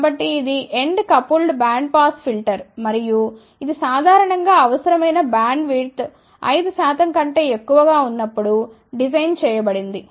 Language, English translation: Telugu, So, this is the end coupled bandpass filter and this is generally designed, when the bandwidth required is less than 5 percent